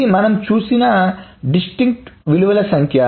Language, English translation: Telugu, This is the number of distinct values that we have seen